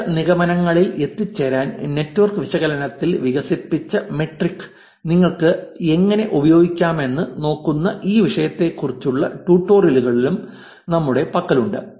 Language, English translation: Malayalam, We have also have tutorials on this topic looking at how you can actually use metrics, which are developed in network analysis to make some inferences